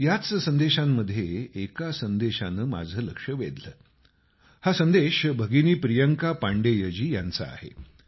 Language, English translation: Marathi, One amongst these messages caught my attention this is from sister Priyanka Pandey ji